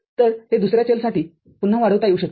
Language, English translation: Marathi, So, these again can be expanded for another variable